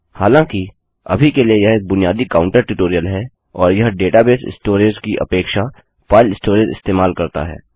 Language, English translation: Hindi, However, for now this is a basic counter tutorial and its using file storage as opposed to database storage